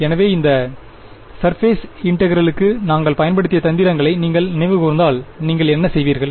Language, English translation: Tamil, So, if you recall the tricks that we had used for that surface integral what would you do